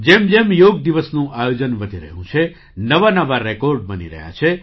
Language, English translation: Gujarati, As the observance of Yoga Day is progressing, even new records are being made